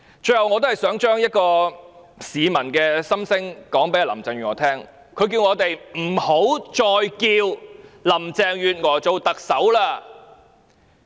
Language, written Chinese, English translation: Cantonese, 最後，我想把一位市民的心聲告訴林鄭月娥，他叫我們不要再稱呼林鄭月娥為特首。, Lastly I wish to relay to Carrie LAM the voice of a member of the public who told us not to call Carrie LAM the Chief Executive anymore